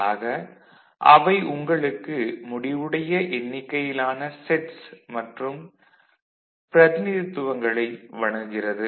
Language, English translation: Tamil, So, that only offers you a finite number of sets, finite number of representations